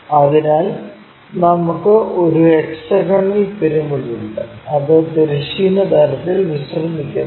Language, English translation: Malayalam, So, we have hexagonal pyramid and it is resting on horizontal plane